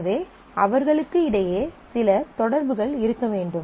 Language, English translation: Tamil, So, there has to be certain correspondence made between them